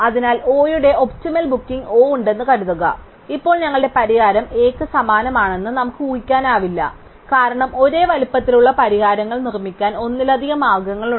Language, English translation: Malayalam, So, suppose there is an optimal set of bookings O, now we cannot in general assume that our solution A is identical to O, because there maybe multiple ways of producing solutions of the same size